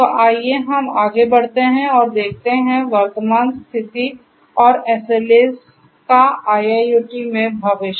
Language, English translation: Hindi, So, let us go ahead and look further, so the current status and future of SLAs in IIoT